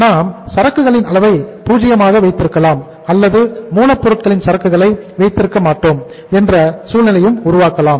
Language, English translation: Tamil, If we keep the level of inventory maybe 0 or maybe we create a situation that we will not keep the inventory of raw material